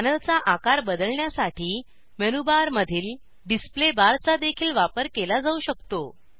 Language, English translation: Marathi, Display menu in the menu bar can also be used to change the size of the panel